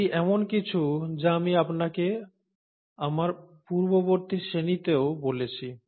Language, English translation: Bengali, This is something I told you even my previous class